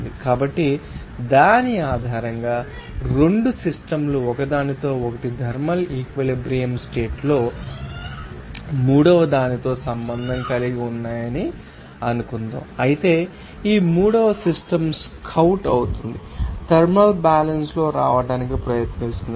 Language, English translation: Telugu, So, based on which you can say that if suppose 2 systems are in contact with each other in a thermal equilibrium condition with third one, then of course, this third system will scout will come try to come in a thermal equilibrium